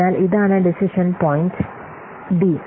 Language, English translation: Malayalam, So, this is the decision point D